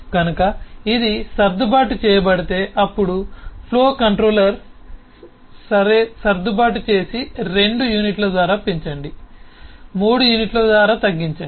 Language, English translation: Telugu, so say: if it is adjusted, then possibly the flow controller will simply say: okay, adjust, increase it by two units, decrease it by three units, something like that